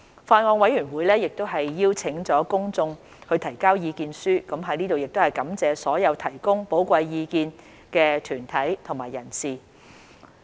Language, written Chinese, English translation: Cantonese, 法案委員會亦邀請了公眾提交意見書，我在此亦感謝所有提供寶貴意見的團體和人士。, The Bills Committee has invited submissions from the public and I would also like to thank all the organizations and individuals who have provided valuable opinions